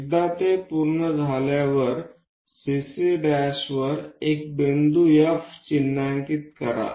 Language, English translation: Marathi, Once it is done mark a point F on CC prime